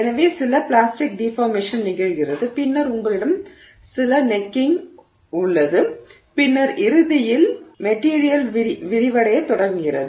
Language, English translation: Tamil, So, some plastic deformation happens and then you have some necking that is happening and then eventually the material begins to expand